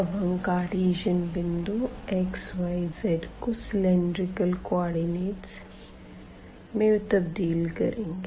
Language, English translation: Hindi, So now, the Cartesian co ordinate to cylindrical coordinates